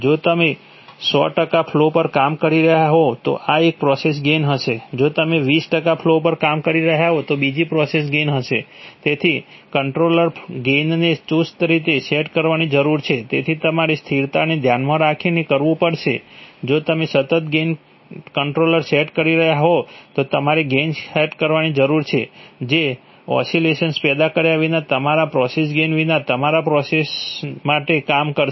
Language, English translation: Gujarati, If you are operating at hundred percent flow then there will be one process gain, if you are operating at twenty percent flow there'll be another process gain, so the, so the controller gains needs to beset conservatively, so you will have to, for stability considerations if you are setting a constant gain controller then you need to set the gain, which will work for all the processes without all the process gains without causing oscillation